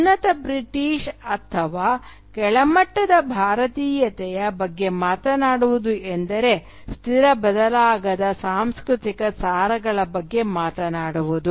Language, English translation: Kannada, To talk about superior Britishness or inferior Indianness would mean talking about static unchangeable cultural essences